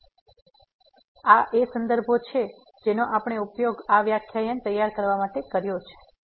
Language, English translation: Gujarati, So, these are the references which we have used to prepare these lectures